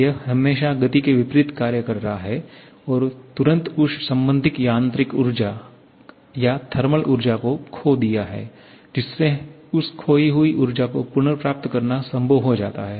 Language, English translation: Hindi, It is always acting opposite to the motion and immediately converting that corresponding mechanical energy or lost mechanical energy to thermal energy thereby making it possible to recover that lost energy